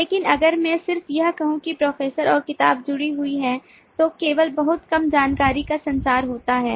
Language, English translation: Hindi, but if i just say that the professor and the book are associated, then only little information is communicated